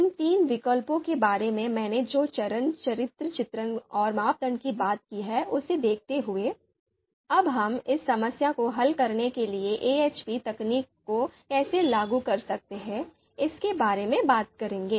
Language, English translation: Hindi, So given the characterization that I have given and the criteria that I have talked about and these three alternatives, now we will talk about how we can apply AHP technique to solve this problem